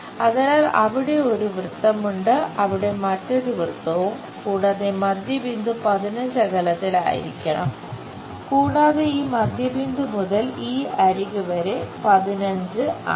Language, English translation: Malayalam, So, there is one circle, there is another circle and center supposed to be 15 and this center to this edge is 15